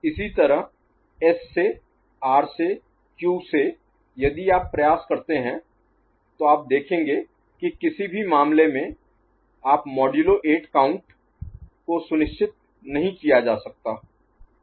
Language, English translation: Hindi, Similarly, from S from R from Q if you try, in none of the cases you can see that a modulo count of 8 can be ensured